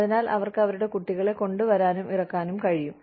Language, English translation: Malayalam, So, that they are able to bring their children, drop them off